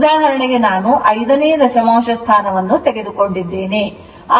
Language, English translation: Kannada, For example, power factor I have taken the fifth decimal place